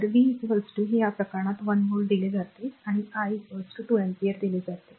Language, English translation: Marathi, So, V is equal to it is given for this case 1 volt and I is equal to is given your 2 ampere 2 ampere